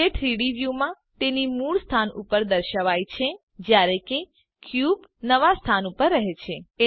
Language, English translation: Gujarati, It snaps back to its original position in the 3D view while the cube remains in the new position